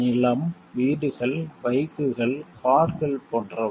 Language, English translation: Tamil, Like land, houses, bikes, cars, etc